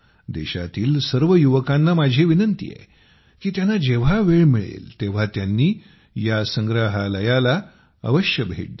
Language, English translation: Marathi, I would like to urge the youth that whenever they get time, they must visit it